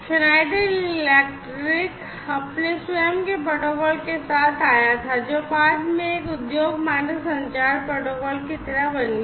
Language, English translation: Hindi, So, Schneider electric came up with their own protocol, which later became sort of like an industry standard communication protocol for being used